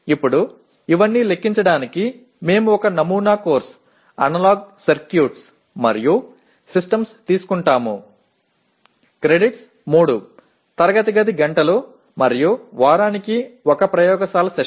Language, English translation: Telugu, Now to compute all these we take a sample course, Analog Circuits and Systems, credits are 3 classroom hours and 1 laboratory session per week